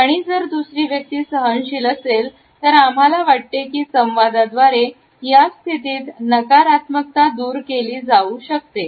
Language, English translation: Marathi, And if the other person is patient, we feel that the negativity can be taken away in this position through dialogue